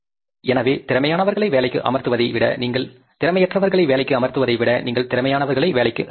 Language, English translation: Tamil, So, rather than employ unskilled people, you employ the skilled people